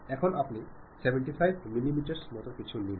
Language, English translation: Bengali, Now, you would like to have give something like 75 millimeters